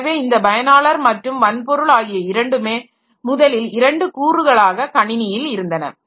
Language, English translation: Tamil, So, these users and hardware, so they were the first two components in a computer system